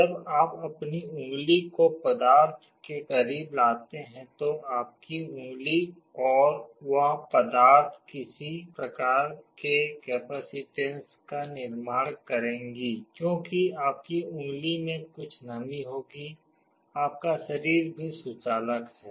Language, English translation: Hindi, When you bring your finger close to a material, your finger and that material will form some kind of a capacitance because there will some moisture in your finger, your body is also conductive